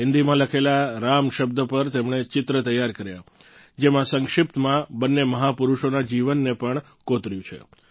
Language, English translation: Gujarati, On the word 'Ram' written in Hindi, a brief biography of both the great men has been inscribed